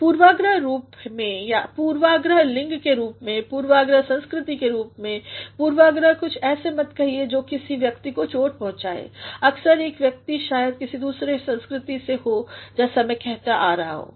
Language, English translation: Hindi, Biased in terms of; biased in terms of gender, biased in terms of culture; do not say something that hurts a person, sometimes a person maybe from a different culture as I have been saying